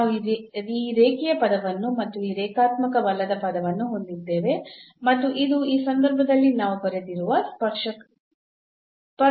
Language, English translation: Kannada, So, we have this linear term plus this non linear term and this is the equation of the tangent which we have written down in this case